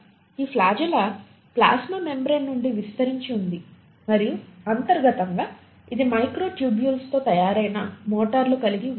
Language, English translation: Telugu, This flagella extends out of the plasma membrane and internally it consists of motors which are made up of microtubules